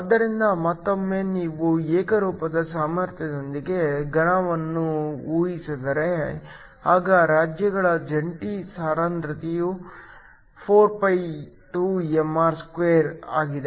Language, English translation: Kannada, So, Again, if you assume a solid with a uniform potential then the joint density of states is 4π2mr*